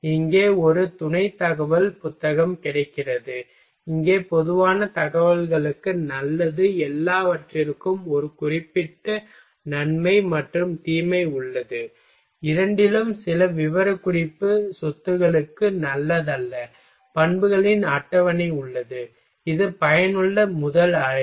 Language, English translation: Tamil, A supporting information here text book is available, here good for general information everything has a certain advantage and disadvantage both some has table of properties not good for detailed specification property, a useful first point of call